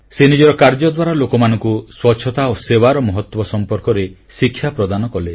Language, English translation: Odia, Through her work, she spread the message of the importance of cleanliness and service to mankind